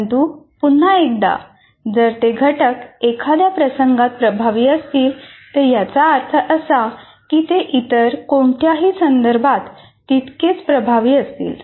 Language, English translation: Marathi, But once again, if it is effective in a particular instance doesn't mean that it will be equally effective in some other context